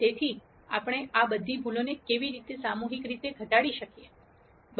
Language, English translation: Gujarati, So, how do we collectively minimize all of these errors